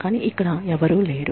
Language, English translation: Telugu, But, there is nobody here